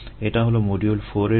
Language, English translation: Bengali, that's it for module four